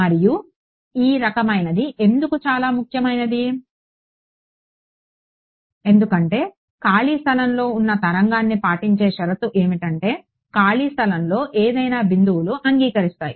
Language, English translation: Telugu, And why is this sort of very important is because, what is it saying this is the condition obeyed by a wave in free space any points in free space agree